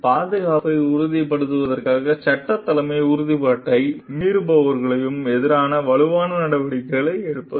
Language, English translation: Tamil, Taking strong actions against those who break the law leadership commitment to ensure safety